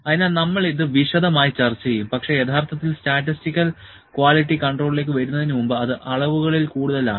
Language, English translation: Malayalam, So, we will discuss this in detail but before actually coming to the statistical quality control that is more in the measurements